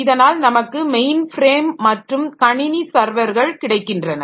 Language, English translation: Tamil, So, we have got main frames and computing servers